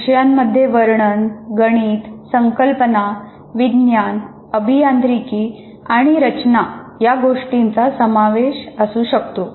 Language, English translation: Marathi, For example, courses can be descriptive, mathematical, conceptual or engineering science or engineering or design oriented